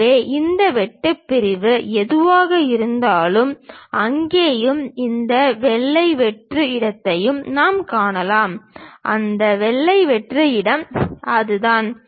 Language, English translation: Tamil, So, whatever that cut section we have that we are able to see there and this white blank space, that white blank space is that